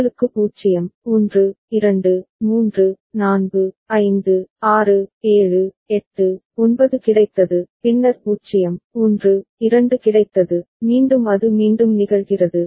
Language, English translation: Tamil, See you got 0, 1, 2, 3, 4, 5, 6, 7, 8, 9, and then 0, 1, 2, again it repeats